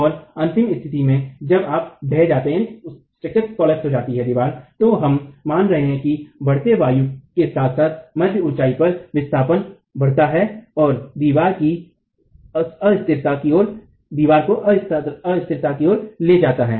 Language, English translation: Hindi, And in the final condition when you have collapse, we are assuming that the displacement at mid height increases with increasing wind load and wall is taken towards instability